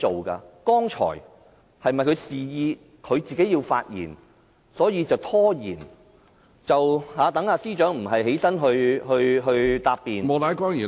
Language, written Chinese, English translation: Cantonese, 剛才她是否示意要發言，所以便拖延，讓司長暫時無須發言答辯......, I wonder if she prolonged the proceedings of the Council because she had made an indication to speak just now sparing the Chief Secretary for Administration the need to respond for now